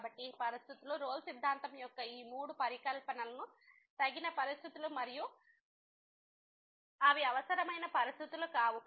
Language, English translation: Telugu, So, therefore, these conditions these three hypotheses of the Rolle’s Theorem are sufficient conditions and they are not the necessary conditions